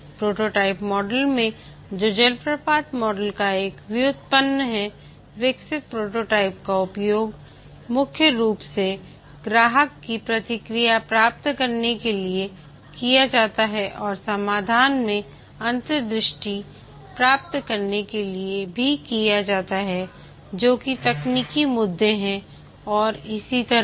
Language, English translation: Hindi, In the prototyping model, which is a derivative of the waterfall model, the developed prototype is primarily used to gain customer feedback and also to get insight into the solution, that is the technical issues and so on